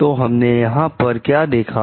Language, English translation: Hindi, So, what we find over here